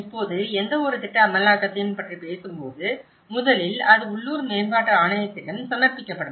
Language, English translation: Tamil, Now, when we talk about any plan implementation, first of all, it will be submitted to the local development authority